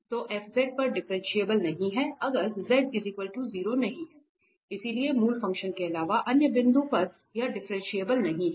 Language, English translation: Hindi, So, f is not differentiable at z if z is not equal to 0, so other than origin function is not differentiable, this is what written here